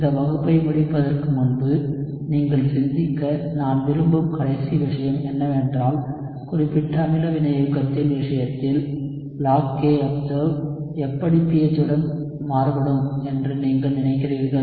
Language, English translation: Tamil, The last thing that I want you to think of before we end this class is, in the case of specific acid catalysis how do you think the log of kobserved will vary with pH